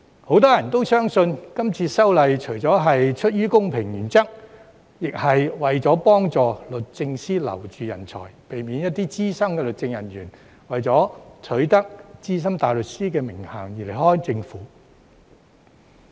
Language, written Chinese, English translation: Cantonese, 很多人也相信，今次修例除了基於公平原則，亦是為了幫助律政司挽留人才，避免一些資深律政人員為取得資深大律師的名銜而離開政府。, Many people believe that the legislative amendments this time around are not only based on the principle of fairness but also aim at helping DoJ retain talents by preventing some senior legal officers from leaving the Government for the SC title